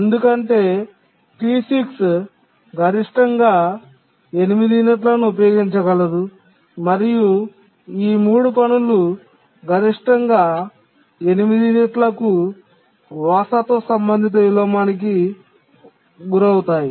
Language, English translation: Telugu, Because D6 can use at most for 8 units and these 3 tasks will suffer inheritance related inversion for at most 8 units